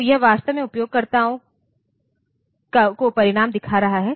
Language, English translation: Hindi, So, it is actually showing the result to the user